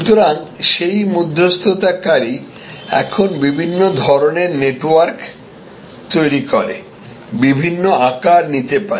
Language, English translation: Bengali, So, that intermediary is the can now take different shapes creating different types of networks